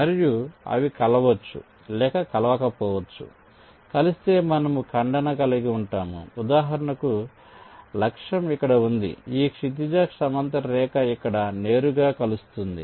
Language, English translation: Telugu, so if they would have intersected, i would have, for, for example, if the target was here, then this horizontal line would have intersected here directly